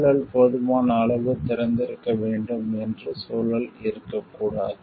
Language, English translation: Tamil, It the environment should not be like that the environment should be open enough